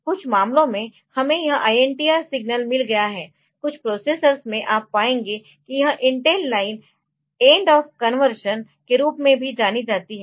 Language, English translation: Hindi, So, in some cases so, we have got an this INTR signal, in some of the processers you will find that this Intel line so, it is also known as end of conversion